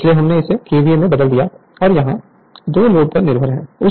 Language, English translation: Hindi, So, we converted it to your KVA and it is dependent on the square of the load